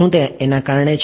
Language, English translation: Gujarati, Is it because the